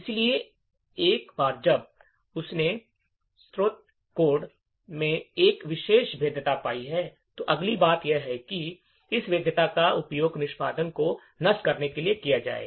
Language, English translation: Hindi, So, once he has found a particular vulnerability in the source code, the next thing is to use this vulnerability to subvert the execution